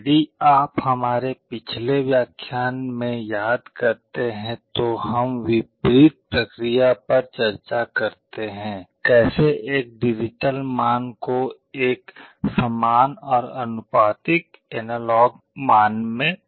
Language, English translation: Hindi, If you recall in our previous lecture we discuss the reverse process, how to convert a digital value into an equivalent and proportional analog value